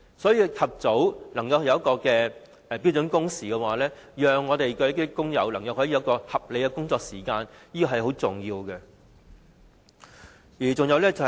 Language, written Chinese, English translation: Cantonese, 所以，及早推行標準工時，讓工友能享有合理的工作時間是非常重要的。, Therefore it is very important to implement standard working hours in a timely manner so that workers can enjoy reasonable working time